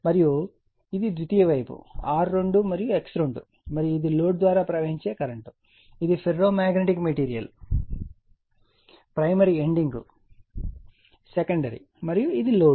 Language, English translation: Telugu, And this is the secondary side that R 2 and X 2 and this is the current flowing through the load this is that your that ferromagnetic material primary ending secondary so, on and this is the load